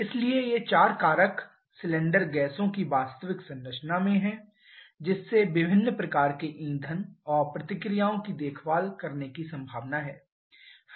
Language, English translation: Hindi, So, this 4 factors are at the actual composition of the cylinder gaseous they are allowing the possibility of taking care of different kinds of fuels and reactions